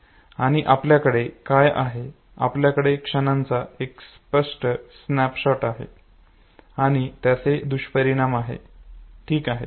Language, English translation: Marathi, And what do we have, we have a vivid snapshot of the moments and its consequences okay